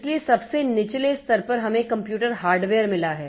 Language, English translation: Hindi, So, at the lowest level we have got the computer hardware